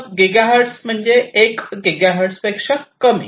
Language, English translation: Marathi, Sub giga hertz means that it is less than 1 gigahertz